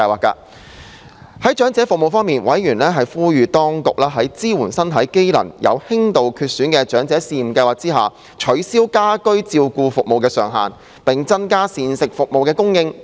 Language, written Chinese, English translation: Cantonese, 在長者服務方面，委員呼籲當局在"支援身體機能有輕度缺損的長者試驗計劃"下，取消家居照顧服務的上限，並增加膳食服務的供應。, Regarding the services for the elderly members urged the Administration to remove the cap for the Pilot Scheme on Home Care and Support for Elderly Persons with Mild Impairment and increase the provision of meal service under the Pilot Scheme